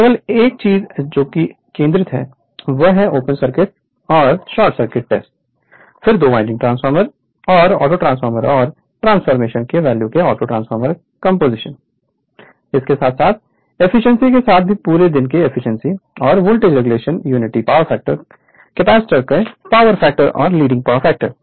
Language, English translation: Hindi, Only thing what portion we have to your concentrate that is open circuit test, short circuit test, then your auto transformer right composition of the value of 2 winding transformer and autotransformer right and equivalent circuit and transformation and the efficiency as well as the all day efficiency and the voltage regulation for at unity power factor lagging power factor and leading power factor right